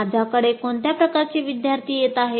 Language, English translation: Marathi, What kind of students are coming to me